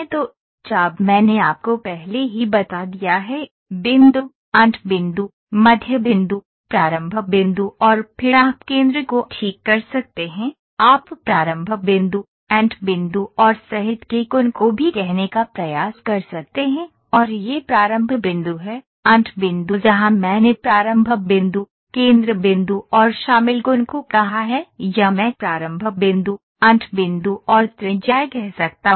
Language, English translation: Hindi, So, arc I have already told you, start point, end point, mid points, start point, end point and then you can fix the centre, you can also try to say start point, end point and the angle of including and this is start point, end point where I have said the start point, centre point and the angle included or I can say start point, end point and the radius